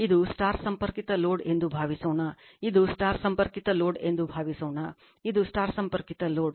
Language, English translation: Kannada, And this is star connected, load and this is star connected load